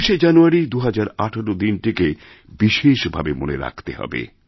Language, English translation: Bengali, But 26th January, 2018, will especially be remembered through the ages